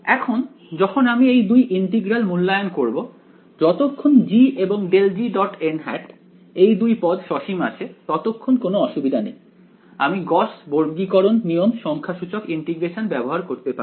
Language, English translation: Bengali, Now, when we are evaluating these two integrals over here as long as g and grad g dot n hat as long as these terms are finite there is no problem I can use gauss quadrature rule numerical integration